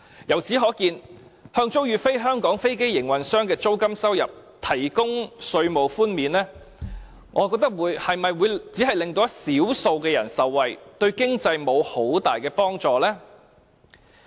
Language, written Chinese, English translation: Cantonese, 由此可見，向租予"非香港飛機營運商"的租金收入提供稅務寬免，我懷疑只會令少數人受惠，對經濟沒有很大的幫助。, Then can the general public gain benefit as shown by the economic data? . In the light of the above the provision of tax concession in relation to the lease payments made by non - Hong Kong aircraft operators presumably benefits only a handful of people without bringing too much help to the economy in general